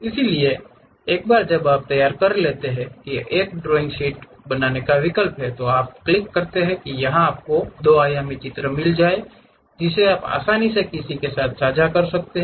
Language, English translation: Hindi, So, once you prepare that there is option to make drawing sheet, you click that it gives you two dimensional picture which you can easily share it with anyone